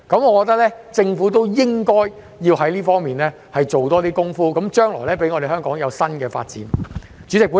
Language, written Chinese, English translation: Cantonese, 我認為，政府應該在這方面多做些工夫，讓香港將來有新的發展。, In my opinion the Government should do more in this aspect so that there will be new development in Hong Kong in the future